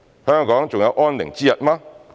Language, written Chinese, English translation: Cantonese, 香港還有安寧之日嗎？, Would there be peace in Hong Kong anymore?